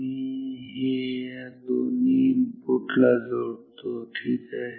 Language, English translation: Marathi, Let me connect this to the two inputs ok